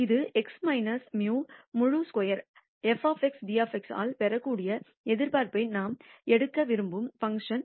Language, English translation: Tamil, This is the function that we want to take the expectation of, which can be obtained by x minus mu the whole square f of x dx